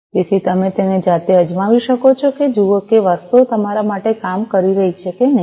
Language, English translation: Gujarati, So, you can try it out yourselves, and see whether things are working for you or, not